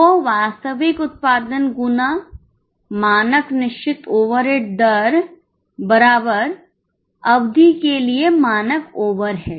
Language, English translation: Hindi, So, actual output into standard fixed overhead rate gives you the standard overhead for the period